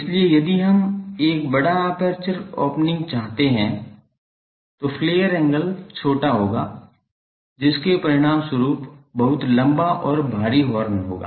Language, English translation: Hindi, So, if we want to have a large aperture opening the flare angle will be small resulting in a very long and bulky horn